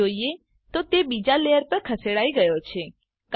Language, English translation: Gujarati, Infact, it has been moved to the second layer